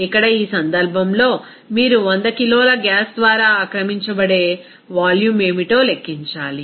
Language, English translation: Telugu, Here in this case, you have to calculate what should be the volume that will be occupied by 100 kg of the gas